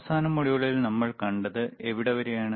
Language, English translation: Malayalam, Here in the last module what we have seen